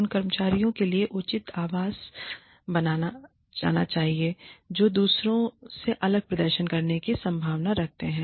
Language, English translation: Hindi, Reasonable accommodation should be made for employees, who are likely to perform, differently than others